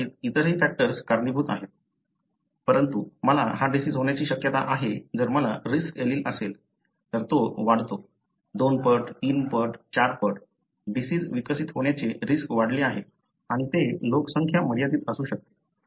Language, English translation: Marathi, Probably there are other contributory factors, but the, the probability that I would develop the disease, you know, if I have the risk allele, it goes up, you know, two fold, three fold, four fold, you know, increased risk of developing the disease and it could be population specific